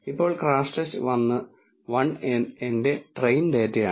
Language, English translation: Malayalam, Now, crashTest underscore 1 is my train data